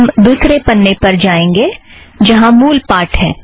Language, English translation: Hindi, Let us go to the second page, where we have the text